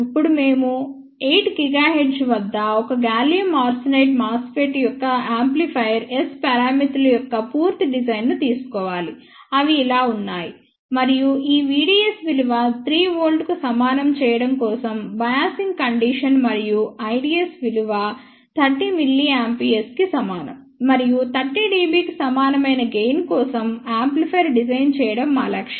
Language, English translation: Telugu, Now, we are going to take complete design of an amplifier S parameters of a gallium arsenide mosfet at 8 giga hertz are given as follows and these are for biasing condition of V ds equal to 3 volt and I ds equal to 30 milliampere and our objective is to design an amplifier for gain equal to 10 dB